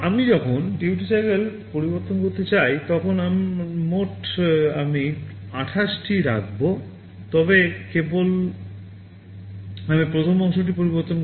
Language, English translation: Bengali, When I want to change the duty cycle, the total I will keep 28, but only I will be changing the first part